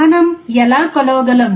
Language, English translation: Telugu, How can we measure